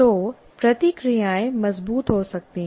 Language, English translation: Hindi, So the reactions can be fairly strong